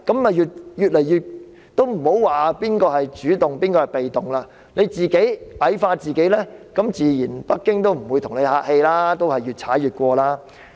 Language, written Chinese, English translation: Cantonese, 莫說誰是主動，誰是被動，你自己矮化自己，北京亦自然不會跟你客氣，會越踩越近。, Regardless of who is the active doer and who is the passive one once you degrade yourself Beijing will not show you any deference and will encroach on our side further